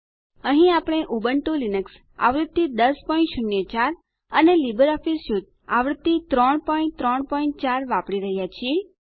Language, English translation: Gujarati, Here we are using Ubuntu Linux version 10.04 and LibreOffice Suite version 3.3.4